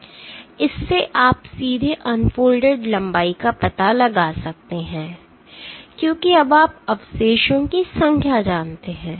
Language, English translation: Hindi, This you can directly find out the unfolded length, now because you know the number of residues because you know the number of residues